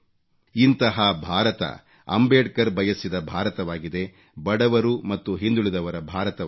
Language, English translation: Kannada, It is an India which is Ambedkar's India, of the poor and the backward